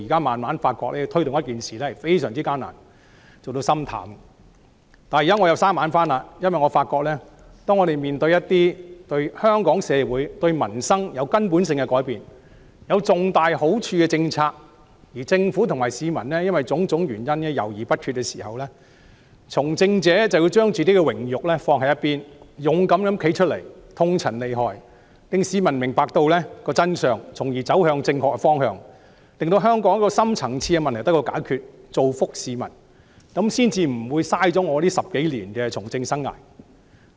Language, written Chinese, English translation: Cantonese, 不過，我現在又回復朝氣，因為我發現當我們面對一些對香港社會、對民生有根本性改變、有重大好處的政策，而政府和市民卻因為種種原因猶豫不決時，從政者便要將榮辱放置一旁，勇敢地站出來，痛陳利害，令市民明白真相，從而走向正確的方向，令香港的深層次問題得到解決，造福市民，這樣我10多年的從政生涯才不會白費。, I realize that when some policies that will bring fundamental changes and substantial advantages to Hong Kong society and peoples livelihood but the Government and the public have been hesitant for various reasons politicians have to set their honour and disgrace aside and step forward courageously to state the pros and cons so that members of the public will understand the true facts and move towards the right direction . In this way Hong Kongs deep - rooted problems will be solved for the benefits of the public . Only by so doing will my political career of over 10 years not run to waste